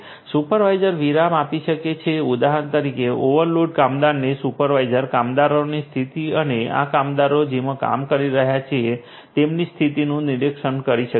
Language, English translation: Gujarati, The supervisors can give break for example, to the overloaded workers, the supervisors can monitor the condition of the workers and the working condition in which this workers are working